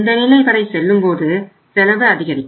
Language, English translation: Tamil, When you go up to this level your cost will increase